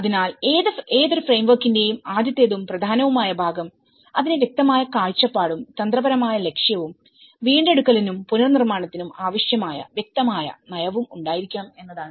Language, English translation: Malayalam, So, the very first and foremost part of the any framework is it should have a clear vision and a strategic objective and a clear policy which is needed for recovery and reconstruction